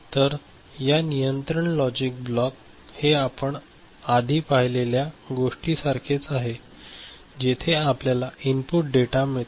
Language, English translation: Marathi, So, this control logic block a similar to what we had seen before in addition we have got a data in input ok